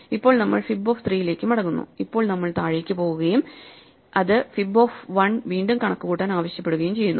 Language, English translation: Malayalam, Now we come back to fib of 3, and now we go down and it asks us to compute fib of 1 again